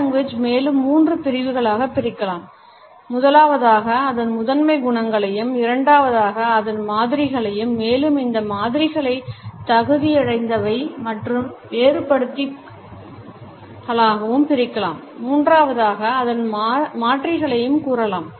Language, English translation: Tamil, Paralanguage can be further divided into three categories as of primary qualities, secondly, modifiers which can be further subdivided into qualifiers and differentiators and thirdly, the alternates